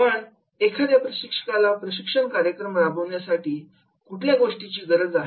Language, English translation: Marathi, But what is required for a trainer to conduct a training program